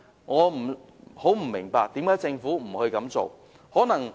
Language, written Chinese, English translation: Cantonese, 我不明白為何政府沒有這樣做。, I do not understand why the Government should refuse to introduce the said test